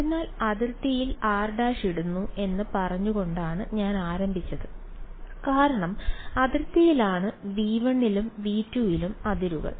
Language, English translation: Malayalam, So, I had started by saying I am putting r prime on the boundary and boundary was because boundaries both in V 1 and V 2